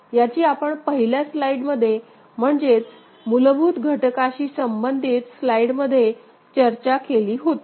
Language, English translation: Marathi, That we discussed in the first slide, in the basic component related slide right